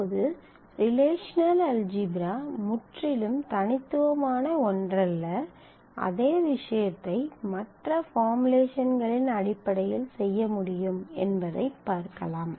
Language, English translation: Tamil, Now, relational algebra is not something totally unique the same thing can be done in terms of other formulations also